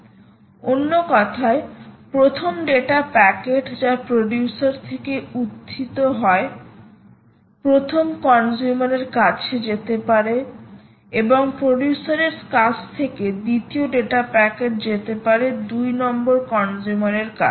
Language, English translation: Bengali, in other words, the first data packet that arise from a producer can go to consumer one and the second data packet from producer can go to consumer number two